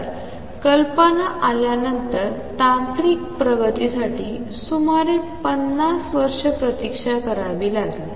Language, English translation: Marathi, So, technological advancement had to wait about 50 years after the idea came